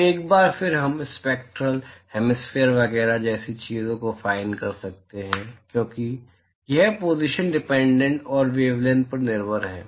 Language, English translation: Hindi, So, once again we can define things like spectral hemispherical etcetera because it is positional dependent and wavelength dependent